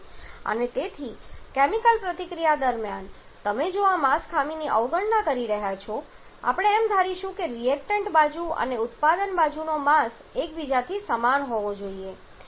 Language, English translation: Gujarati, And therefore in during chemical reaction you are going to neglect this mass defect we are going to assume that the mass of the reactant side and product side has to be equal to each other